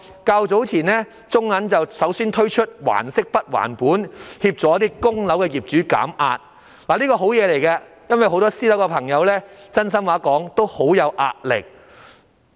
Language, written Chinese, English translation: Cantonese, 較早時候，中國銀行首先推出"還息不還本"的安排，協助一些供樓的業主減壓，這是好事，因為很多私樓業主都表示承受到壓力。, Earlier the Bank of China took the lead to launch the principal repayment holiday arrangement to reduce the mortgage payment pressure on some property owners . This is a good measure as many private property owners admit that they are under stress